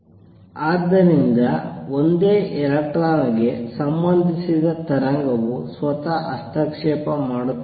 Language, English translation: Kannada, So, the wave associated with a single electron interferes with itself